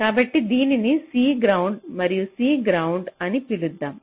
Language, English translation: Telugu, so lets call it c ground and c ground